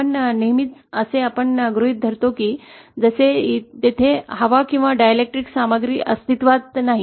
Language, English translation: Marathi, What we usual do is we assume as if there is neither air nor the dielectric material present